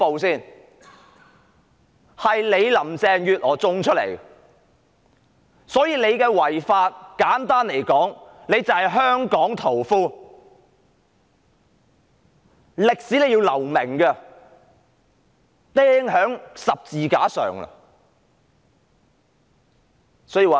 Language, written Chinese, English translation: Cantonese, 這是林鄭月娥一手造成的，所以她的違法行為，簡單來說，她就是"香港屠夫"，在歷史上要留名，會被釘在十字架上。, All that was of Carrie LAMs own making . Due to the lawbreaking acts she had done she should go down in history simply as Hong Kong butcher and be punished by crucifixion . Just skip that crap about a place for her in heaven